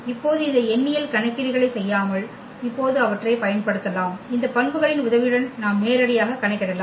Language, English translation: Tamil, And now they can be used now without doing all these numerical calculations we can compute directly also with the help of these properties